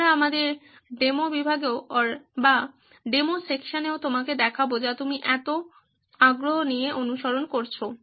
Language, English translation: Bengali, We will show that you in our demo section as well which you have been following so keenly